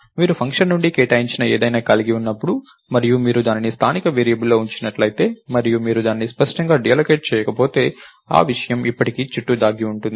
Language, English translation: Telugu, So, whenever you have something that is allocated from a function and if you put that in the local variable and if you didn't explicitly deallocate it, that thing is still going to lurk around